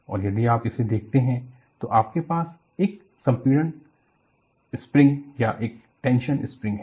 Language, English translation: Hindi, And if you really look at, you have a compression spring or a tension spring